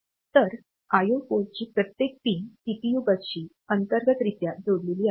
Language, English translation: Marathi, So, each pin of the I O port; so, it is internally connected to the CPU bus